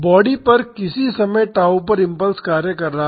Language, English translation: Hindi, The impulse is acting on the body at time is equal to tau